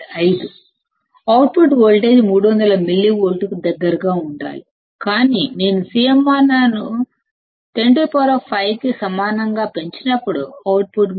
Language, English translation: Telugu, 5; the output voltage should be close to 300 millivolts, but when I use CMRR equal to 10 raised to 5; the output was 300